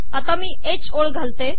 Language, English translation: Marathi, Lets put a h line here